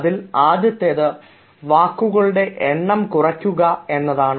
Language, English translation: Malayalam, first is reduce the number of words